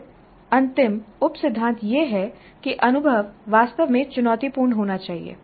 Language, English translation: Hindi, Then the last sub principle is that the experience must really be challenging